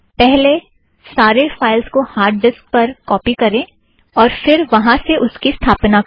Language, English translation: Hindi, First you have to copy the entire content to the hard disk and then install it from there